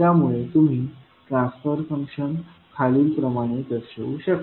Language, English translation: Marathi, Now, let us proceed forward with the transfer function